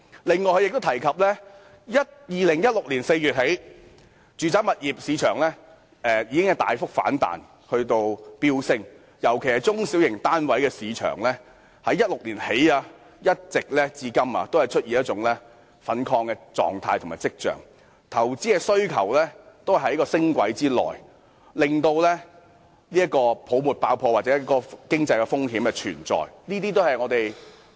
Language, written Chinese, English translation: Cantonese, 此外，政府亦提及，自2016年4月起，住宅物業市場已經大幅反彈，尤其是中小型單位的市場在2016年起至今一直出現一種亢奮跡象，投資的需求都在升軌之內，令到泡沫爆破或經濟風險存在。, Moreover the Government also mentioned that the residential property market had staged a sharp rebound since April 2016 and signs of exuberance in the property market in particular the market of small and medium residential flats had emerged since 2016 . With a reacceleration of investment demand the risks of property bubble and economic risks were always present